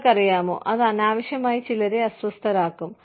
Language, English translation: Malayalam, You know, that can unnecessarily make some people, uncomfortable